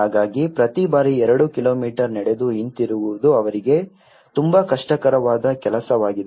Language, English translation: Kannada, So, every time walking two kilometres and coming back is a very difficult task for them